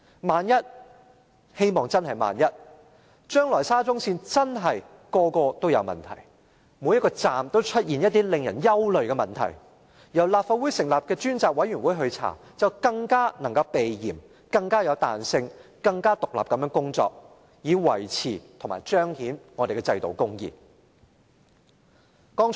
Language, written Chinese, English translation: Cantonese, 萬一——希望真的只是萬一——將來沙中線的每個車站也出現令人憂慮的問題，由立法會成立的專責委員會展開調查，便更能避嫌、更有彈性、更能獨立地工作，以維持和彰顯我們的制度公義。, If―I really hope this will only be hypothetical―any worrying problems occur at every station of SCL in the future a select committee set up by the Legislative Council for investigation will avoid conflict of interest have greater flexibility and operational independence to maintain and highlight our institutional justice